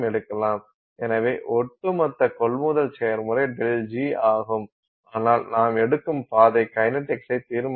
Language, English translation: Tamil, So, the overall purchase process is the same which is the delta G but the route you take determines the kinetics